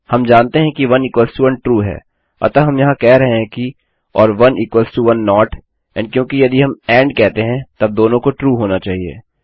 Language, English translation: Hindi, We know that 1 equals to 1 is true so here we are saying or 1 is equal to 1 not and because we said and then both would have to be true